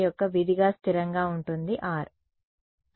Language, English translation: Telugu, So, F will remain constant as a function of r